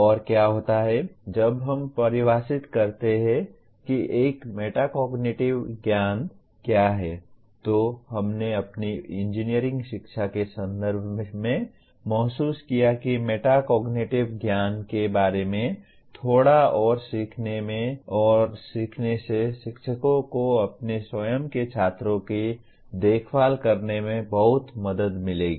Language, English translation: Hindi, And what happens is while we define what a Metacognitive knowledge briefly, we felt in the context of our engineering education that learning a little more about metacognitive knowledge will greatly empower the teachers to take care of their own students